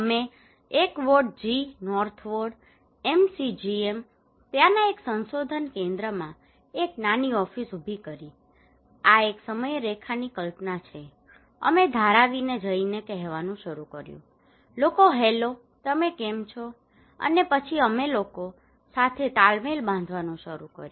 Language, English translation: Gujarati, We set up a small office in a ward G North ward, MCGM, a research hub from there imagine this is a timeline, we started to say used to go to Dharavi and say people hey hello how are you, and then we started to build kind of rapport with the people